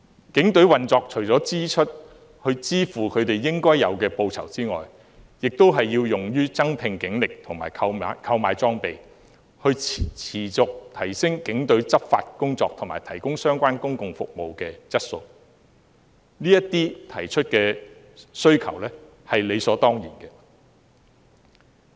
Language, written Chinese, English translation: Cantonese, 警隊的預算開支除了支付警員應得的報酬外，亦要用於增聘警力和購買裝備，以持續提升警隊的執法工作和提高相關公共服務的質素，他們提出的需求是理所當然的。, Apart from the deserved remuneration payment the estimated expenditure of the Police is also used on increasing manpower and purchasing equipment in order to continually enhance its law enforcement efforts and the quality of public services provided . Their demands are indeed justified